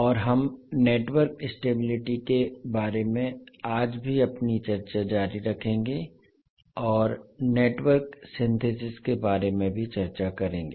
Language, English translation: Hindi, And we will continue our discussion today about the network stability and also we will discuss about the network synthesis